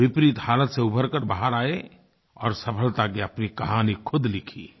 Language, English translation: Hindi, He overcame the adverse situation and scripted his own success story